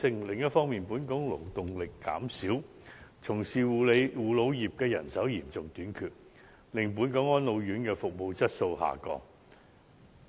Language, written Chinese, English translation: Cantonese, 另一方面，本港勞動力減少，從事護老業的人手嚴重短缺，令本港安老院服務質素下降。, Second the elderly care industry suffers from a severe manpower shortage as the size of local labour force diminishes resulting in a fall in the service quality of residential care homes for the elderly in Hong Kong